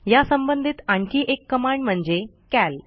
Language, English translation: Marathi, Another related command is the cal command